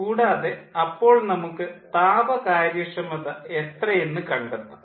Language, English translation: Malayalam, so we can calculate the thermal efficiency